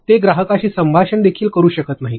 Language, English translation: Marathi, They cannot even have a conversation with the client